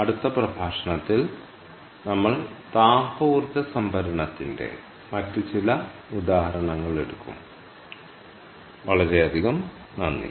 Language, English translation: Malayalam, what we will do in the next lecture is we will take up some other examples of thermal energy storage